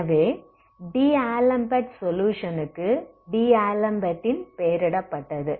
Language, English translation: Tamil, So D'Alembert s solution as given the solution so named after D'Alembert s solution is, how do we do this